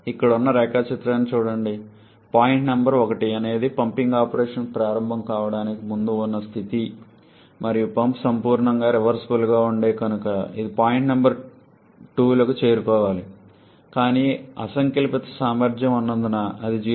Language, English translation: Telugu, Look at the diagram here point number 1 is the state before the pumping operation starts and had the pump been a perfectly reversible one, so it should have reached point number 2s, but because of the presence of the irreversibilities that is that 0